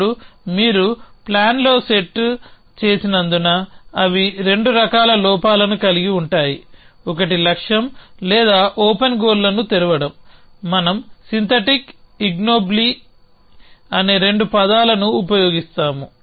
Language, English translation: Telugu, Now, they are 2 kind in flaws as you set in a plan, one is opens of goal or open goals we will use a 2 terms synthetic ignobly